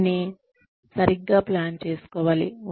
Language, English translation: Telugu, It has to be planned properly